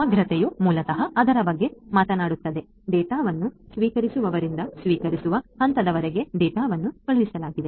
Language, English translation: Kannada, Integrity basically talks about that from the point; the data was sent, till the point that the data was received by the receiver